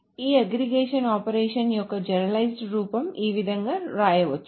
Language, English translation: Telugu, So the generalized form of this aggregation operation is, it can be written in this manner